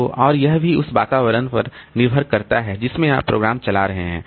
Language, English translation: Hindi, And also it depends on the environment in which you are running the program